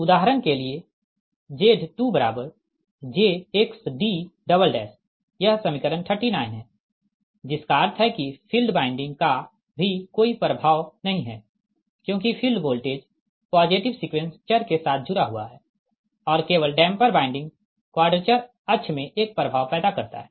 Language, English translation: Hindi, that means field winding also has no influence, and because of field, because field voltage is associated with the positive sequence variables and only the damper winding produces an effect in the quadrature axis